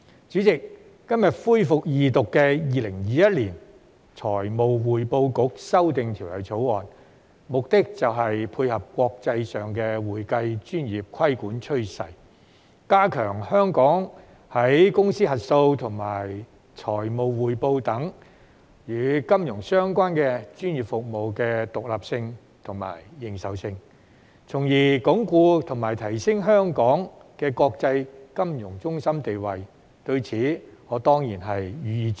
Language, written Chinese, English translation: Cantonese, 主席，今天恢復二讀的《2021年財務匯報局條例草案》，目的就是配合國際上的會計專業規管趨勢，加強香港在公司核數和財務匯報等方面，以及與金融相關專業服務的獨立性和認受性，從而鞏固及提升香港的國際金融中心地位，對此我當然予以支持。, President the Financial Reporting Council Amendment Bill 2021 the Bill the Second Reading of which resumes today seeks to enhance the independence and recognition of corporate auditing and financial reporting as well as financial - related professional services in Hong Kong in line with the international trend on accounting profession regulation with a view to consolidating and upgrading the position of Hong Kong as an international financial centre . This certainly has my support